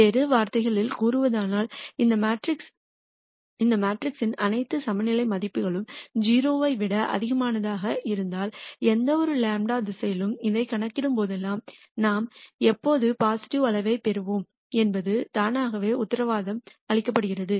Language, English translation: Tamil, In other words if all the eigenvalues of this matrix are greater than 0, it is automatically guaranteed that whenever we compute this for any delta direction we will always get a positive quantity